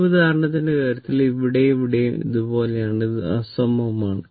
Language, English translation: Malayalam, Similarly, here it is also here also it is like this it is unsymmetrical